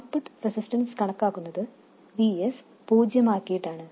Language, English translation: Malayalam, And the output resistance is computed with VS being set to 0